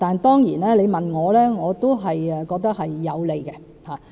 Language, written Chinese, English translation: Cantonese, 當然，如果你問我的意見，我也認為這是有利的。, If you ask for my opinion I certainly believe that it will be beneficial